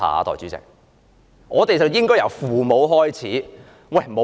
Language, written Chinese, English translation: Cantonese, 因此我們應該由父母開始。, Therefore we should start with loving our parents